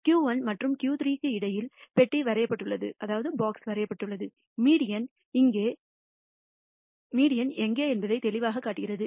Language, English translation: Tamil, And the box is drawn between Q 1 and Q 3 clearly showing where the me dian is